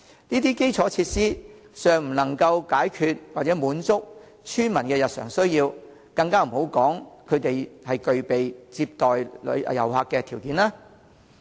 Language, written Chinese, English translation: Cantonese, 這些基礎設施尚不能滿足村民的日常需要，更不要說具備接待遊客的條件。, The existing infrastructure facilities cannot even meet the daily needs of villagers let alone receiving tourists